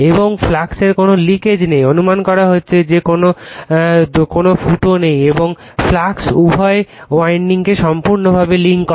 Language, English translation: Bengali, And links fully both the windings there is no leakage of the flux, you are assuming there is no leakage and the flux links both the windings fully